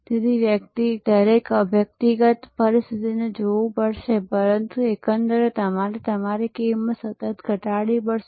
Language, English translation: Gujarati, So, one will have to look at each individual situation and, but overall you must continuously lower your cost